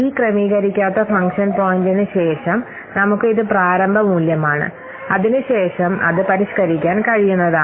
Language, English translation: Malayalam, So this is the unadjusted function point after this on adjusted function point we have to this is the initial value then that can be what then that can be refined